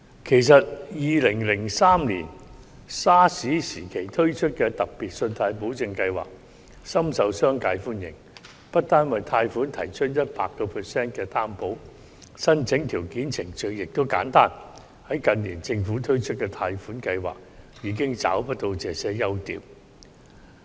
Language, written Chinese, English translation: Cantonese, 其實 ，2003 年 SARS 時期推出的特別信貸保證計劃，深受商界歡迎，不單為貸款提供 100% 擔保，申請條件及程序亦簡單，反之，近年政府推出的貸款計劃已經找不到這些優點。, In fact the Special Loan Guarantee Scheme launched in 2003 during the SARS outbreak was very well received by the business sector . The Scheme provided 100 % loan guarantee with simple application requirements and procedures which is not the case for loan schemes of the Government in recent years